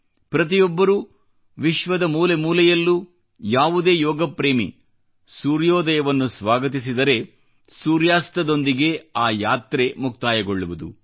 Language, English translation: Kannada, In any corner of the world, yoga enthusiast welcomes the sun as soon it rises and then there is the complete journey ending with sunset